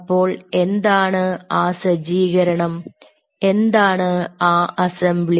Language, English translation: Malayalam, now, what is that set up and what is that assembly